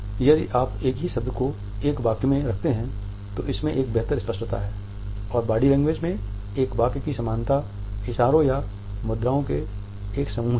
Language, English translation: Hindi, If you put the same word in a sentence then it has a better clarity and a sentence in body language has an equivalence in a clusters of gestures and or postures